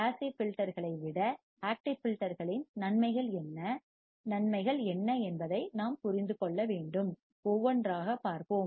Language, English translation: Tamil, Then we have to understand what are the advantages of active filters over passive filters, what are advantages, let us see one by one